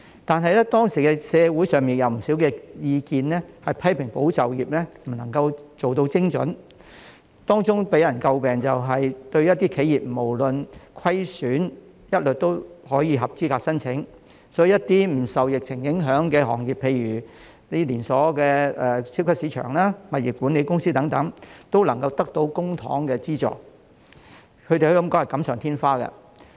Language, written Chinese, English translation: Cantonese, 但是，當時社會上有不少意見批評"保就業"計劃不能夠做到精準，當中予人詬病的是企業不論盈虧一律合資格申請，所以一些不受疫情影響的行業，例如連鎖超級市場、物業管理公司等均能得到公帑資助，可以說是錦上添花。, Nevertheless there have been opinions in the society at the time criticizing ESS for not being targeted enough . One of the criticisms was that enterprises were eligible to apply for subsidies regardless of their profits or losses . Hence some industries not affected by the epidemic such as supermarket chains and property management companies could also receive publicly - funded subsidies